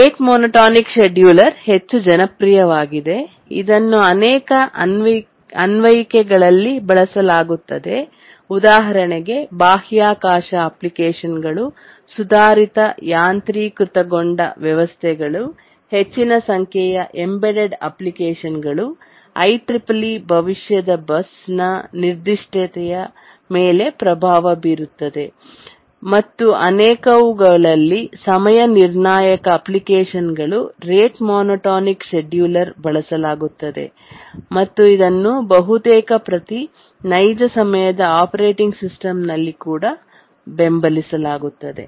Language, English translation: Kannada, The rate monotermed scheduler is overwhelmingly popular, used in many, many applications, space applications, advanced automation systems, large number of embedded applications, even has influenced the specification of the ICC3PII future bus and in many time critical applications the rate monotonic scheduler is used and is supported in almost every operating, real time operating system